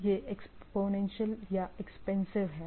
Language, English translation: Hindi, It is a exponential or expansive